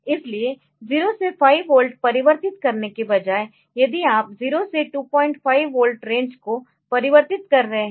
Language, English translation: Hindi, So, if say if you are instead of converting 0 to 5 volt if you are converting the range